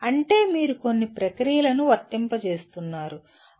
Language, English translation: Telugu, That means you are applying certain processes